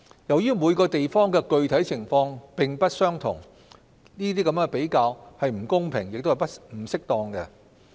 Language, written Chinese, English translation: Cantonese, 由於每個地方的具體情況並不相同，比較是不公平和不適當的。, Since the actual situation varies from place to place it is unfair and inappropriate to make these comparisons